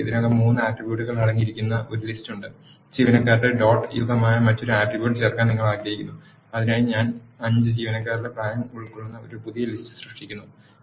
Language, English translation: Malayalam, We have a list which already contains three attributes, you want add another attribute which is employee dot ages; for that I am creating a new list which contains the ages of the employees five employees